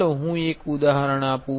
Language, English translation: Gujarati, Let me give an example